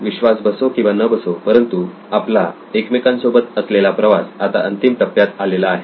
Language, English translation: Marathi, Believe it or not our journey together is also coming to an end